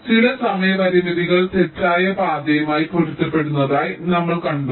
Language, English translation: Malayalam, so we had seen that some of the timing constraints maybe corresponding to false path